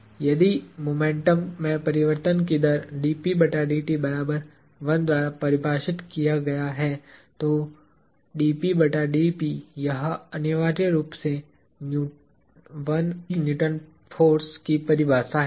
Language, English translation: Hindi, Then, if the rate of change of momentum defined by dp dt is 1; then, that is essentially the definition of 1 Newton of force